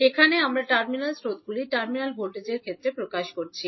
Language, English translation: Bengali, Here, we are expressing the terminal currents in terms of terminal voltages